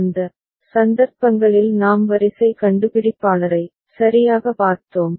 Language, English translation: Tamil, In those cases we have seen sequence detector right